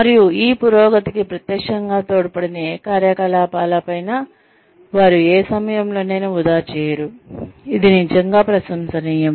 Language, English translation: Telugu, And, they do not waste any time, on any activities, that are not directly contributing to this progression, which is really commendable